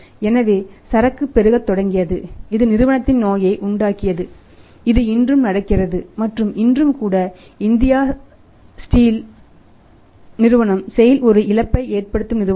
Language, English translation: Tamil, So, it means inventory started mounting that caused the sickness of the company which event today still it is going on and even today the Steel Authority of India sale is a loss making company